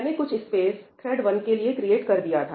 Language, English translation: Hindi, I have created some space for thread 1